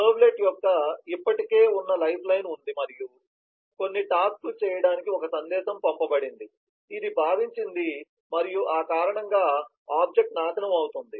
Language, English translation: Telugu, there is an existing lifeline of servlet and a message has been sent to do some tasks, which felt and because of that the object is destructed